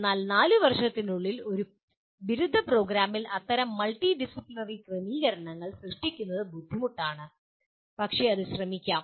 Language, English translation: Malayalam, But to create such multidisciplinary settings in a within a 4 year undergraduate program can be difficult but it can be attempted